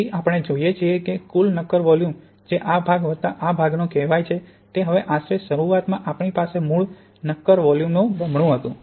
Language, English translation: Gujarati, So we see that the total solid volume that is to say this part plus this part is now roughly double the original solid volume we had at the beginning